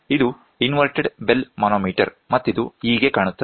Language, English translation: Kannada, So, this is how an inverted bell manometer looks like